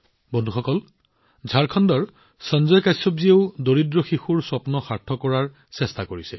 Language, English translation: Assamese, Friends, Sanjay Kashyap ji of Jharkhand is also giving new wings to the dreams of poor children